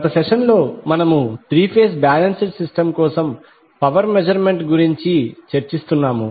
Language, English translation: Telugu, In last session we were discussing about the power measurement for a three phase balanced system